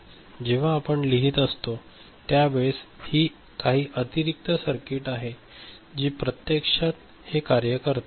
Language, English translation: Marathi, So, when we are writing it this is some additional circuitry which actually making it happen ok